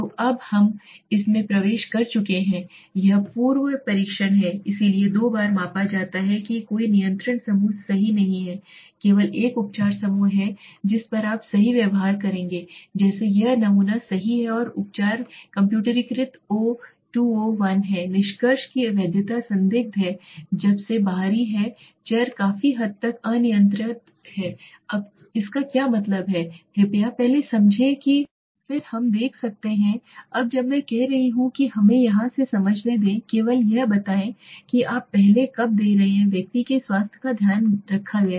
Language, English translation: Hindi, So now we have entered this is pre test so twice it is measured there is no control group right that is only one treatment group is there on which you will treat right like this is a sample right and the treatment is computerized o2 o1 the validity of conclusion is questionable since extraneous variables are largely uncontrolled now what does it mean please first understand then we can see this now when I m saying let us understand from here only let us say when you are giving first the health of the person was taken